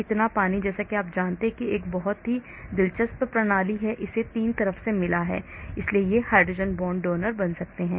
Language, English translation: Hindi, so water as you know it is a very interesting system, it has got 3 sides so these and these can form the hydrogen bond donor